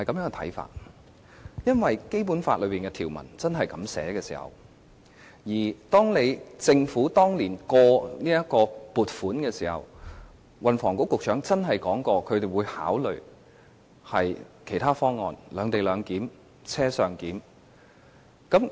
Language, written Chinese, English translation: Cantonese, 而是因為《基本法》的條文是如此訂明，而當年通過撥款時，時任運輸及房屋局局長真的說過會考慮其他方案："兩地兩檢"或"車上檢"。, Rather our objection is based on the provisions of the Basic Law . And you know years ago when the funding was approved the then Secretary for Transport and Housing did say that other options such as on - board clearance and separate - location arrangement would be considered